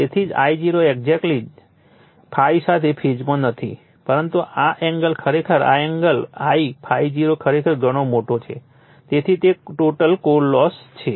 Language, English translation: Gujarati, So, that is why I0 is not exactly is in phase with ∅ but this angle actually this angle I ∅0 actually quite large so, that is total core loss